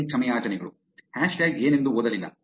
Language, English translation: Kannada, A million apologies, did not read what the hashtag was about